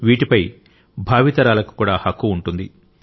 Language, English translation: Telugu, and future generations also have a right to it